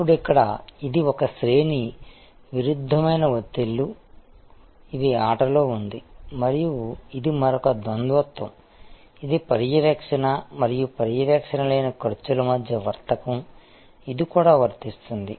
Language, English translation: Telugu, Now, here this is one range of conflicting pressures, which are at play and this is another duality, this a trade of between monitory and non monitory costs, which is also apply